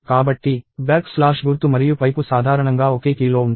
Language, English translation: Telugu, So, back slash symbol and pipe are in the same key usually